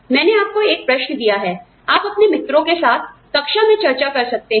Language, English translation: Hindi, I gave you a question that, you could discuss in class, with your friends